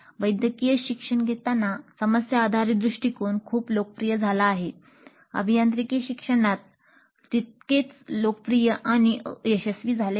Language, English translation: Marathi, While in medical education problem based approach has become very popular, has it become equally popular and successful in engineering education wherever they have implemented